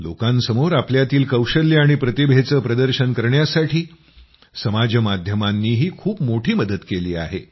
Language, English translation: Marathi, Social media has also helped a lot in showcasing people's skills and talents